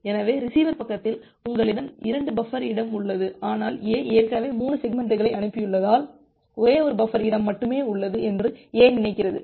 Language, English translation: Tamil, So, although at the receiver side, you have 2 buffer space left, but A thinks that there are only one buffer space left because A has already sent 3 segments